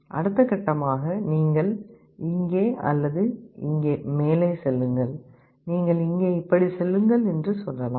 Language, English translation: Tamil, Next step you either go up here or here, let us say you go here like this